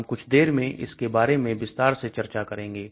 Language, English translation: Hindi, We will talk about this more in detail